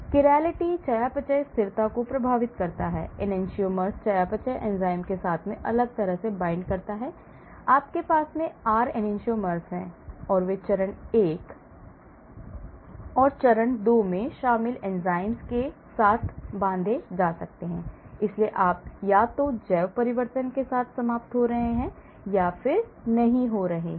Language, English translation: Hindi, Chirality affects metabolic stability , Enantiomers bind differently with the metabolizing enzyme, right you have R Enantiomer and they may bind with the enzymes which are involved in the phase 1 and phase 2, so you may end up with either bio transformation happening or not happening